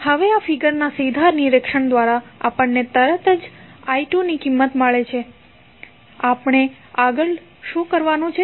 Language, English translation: Gujarati, Now, we got the value of i 2 straightaway through inspection using this figure, what we have to do next